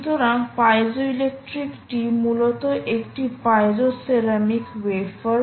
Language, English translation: Bengali, material wise it is piezoceramic, it is a wafer